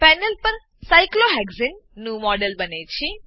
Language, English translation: Gujarati, A model of cyclohexane is created on the panel